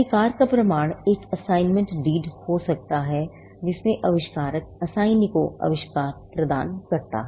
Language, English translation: Hindi, The proof of right can be an assignment deed, wherein, the inventor assigns the invention to the assignee